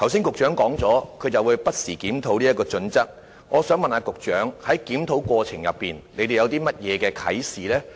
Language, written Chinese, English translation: Cantonese, 局長剛才表示會不時檢討有關標準，我想問局長，當局在檢討過程中得到甚麼啟示？, The Secretary has just said that the relevant standards will be reviewed from time to time . I would like to ask the Secretary what inspiration has the authorities got in the course of the review